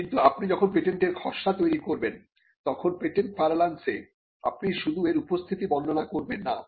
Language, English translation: Bengali, But in patent parlance when you draft a patent, you are not going to merely describe it is appearance